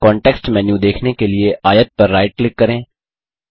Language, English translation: Hindi, Right click on the rectangle to view the context menu